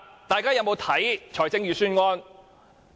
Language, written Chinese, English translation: Cantonese, 大家有否閱讀預算案？, Have Members read the Budget?